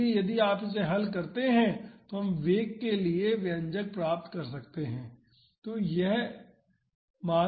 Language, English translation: Hindi, So, if you solve it we can find this expression for the velocity